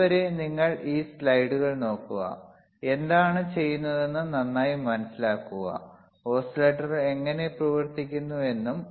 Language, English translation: Malayalam, Till then you just look at these slides look at what I have taught, , understand thoroughly what does what, and how exactly the oscillator works